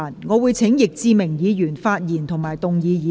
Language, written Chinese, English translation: Cantonese, 我請易志明議員發言及動議議案。, I call upon Mr Frankie YICK to speak and move the motion